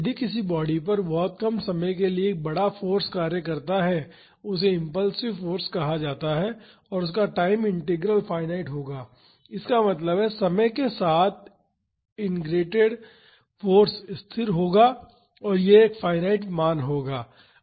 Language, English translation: Hindi, If a large force acts on a body for a very short time that is called impulsive force and the time integral will be finite; that means, the force integrated over time will be the constant it will be a finite value